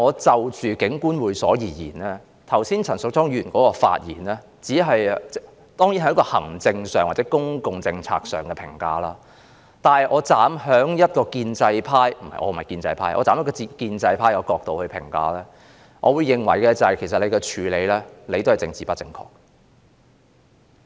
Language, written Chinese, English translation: Cantonese, 就着警官會所一事，陳淑莊議員剛才的發言只是從行政或公共政策上作出評價，如果我站在建制派——我並非建制派——的角度評價，其實這個處理手法也是政治不正確的。, Just now Ms Tanya CHAN only spoke from the administrative or public policy perspective when she commented on the Police Officers Club . I am not a pro - establishment Member but if I were to speak from their perspective I would say that the approach taken is also politically incorrect